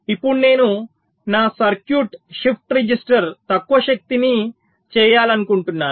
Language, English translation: Telugu, now i want to make my circuit, the shift register, low power